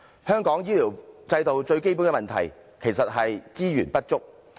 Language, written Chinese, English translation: Cantonese, 香港醫療制度最基本的問題，其實是資源不足。, The fundamental problem of the healthcare system in Hong Kong lies in the shortage of resources